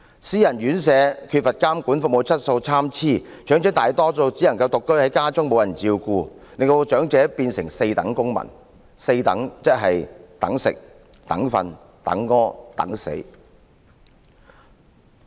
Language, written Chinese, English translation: Cantonese, 私營院舍缺乏監管，服務質素參差，長者大多數只能獨居家中，無人照顧，淪成"四等"公民，"四等"的意思就是等吃、等睡、等排泄、等死。, Private residential homes lack supervision and their service quality varies significantly . Most of the elderly can only live alone in their homes . They are left unattended and become citizens of four waiting waiting for food waiting for sleep waiting for excretion and waiting for death